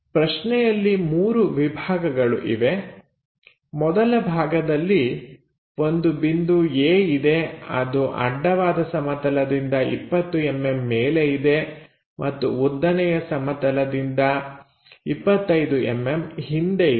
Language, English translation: Kannada, Let us pick the part 1, there are three parts the first part is there is a point A 20 mm above horizontal plane and 25 mm behind vertical plane